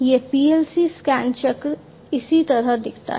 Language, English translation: Hindi, This is how the PLC scan cycle looks like